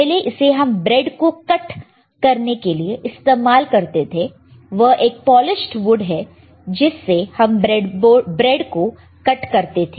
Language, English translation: Hindi, So, it was earlier used to actually cut the bread, it was a polished wood used to cut the bread, right